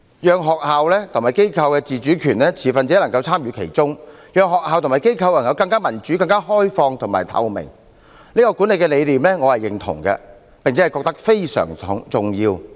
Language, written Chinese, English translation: Cantonese, 讓學校和機構有自主權、持份者能參與其中、讓學校和機構更民主、更開放透明，這種管治理念我是認同的，並認為非常重要。, I agree with the governance philosophy that schools and organizations should enjoy autonomy stakeholders should have their participation and schools and organizations should be made more democratic open and transparent . I consider this philosophy very important too . But there is a problem